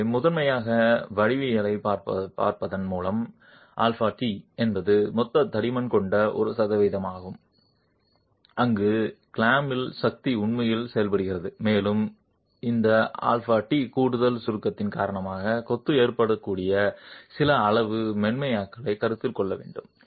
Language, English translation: Tamil, So, primarily by looking at the geometry where alpha T is a percentage of the total thickness where the clamping force is actually acting and this alpha T is to consider some amount of softening that can occur in the masonry due to the additional compression